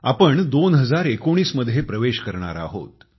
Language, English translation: Marathi, We shall soon enter 2019